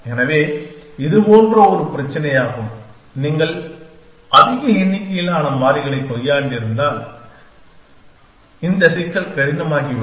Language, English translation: Tamil, So, it is a similar problem that if you have dealing with a large number of variables then this problem could become hard